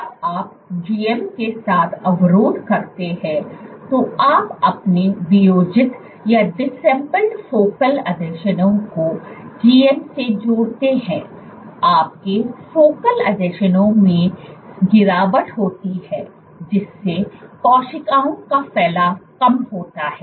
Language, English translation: Hindi, When you inhibit with GM, you add GM your focal adhesions disassembled, your focal adhesions there is a drop in focal adhesions this leads to loss of cells spreading